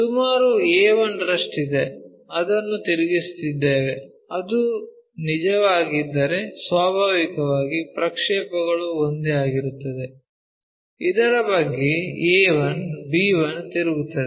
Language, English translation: Kannada, So, if about a 1 we are rotating it, if that is the case then naturally the projection remains same somewhere about that this a 1, b 1 is rotated